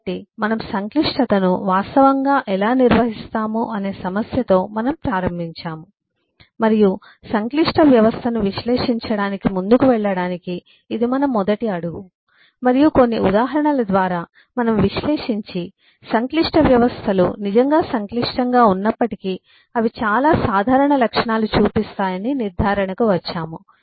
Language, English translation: Telugu, so we eh we started with the issue of how we actually handle complexity and this was our first step to eh go forward analyzing the complex system and eh, through some examples, eh we analyze and come to the conclusion that eh, while the complex systems are indeed complex, but they do show a lot common properties